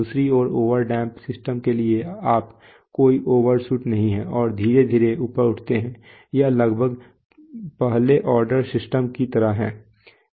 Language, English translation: Hindi, On the other hand for over damped systems, you, there is no overshoot and slowly rise, is just almost like a first order system